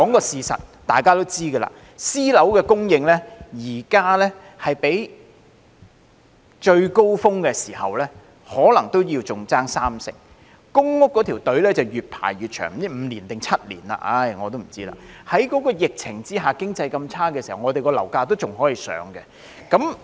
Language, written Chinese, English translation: Cantonese, 事實是大家也知道，私樓供應現時比起最高峰時期可能仍差三成，輪候公屋的隊伍越排越長——輪候時間是5年或7年，我已不知道了——在疫情下，經濟這麼差的時候，我們的樓價卻仍然向上升。, The fact is as we all know the current supply of private housing units is still 30 % less than that at the peak while the waiting time for public housing is getting longer and longer―I do not know whether people have to wait for five or seven years . Despite the pandemic and the poor economic situation local property prices still keep surging